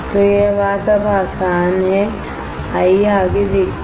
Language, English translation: Hindi, So, this thing is easy now, let us see further